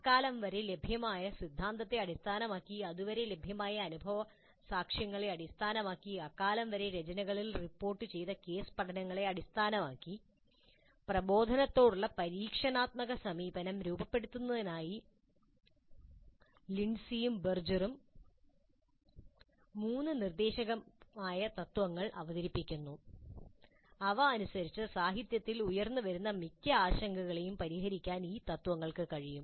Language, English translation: Malayalam, Based on the theory that was available up to that point of time and based on the empirical evidence that was available to that time, based on the case studies reported in the literature of the time, Lindsay and Berger present three prescriptive principles to structure the experiential approach to instruction and according to them these principles can address most of the concerns raised in the literature